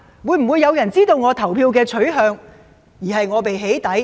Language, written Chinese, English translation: Cantonese, 會否有人知道他的投票取向而被"起底"？, Will they be doxxed when somebody finds out their voting choices?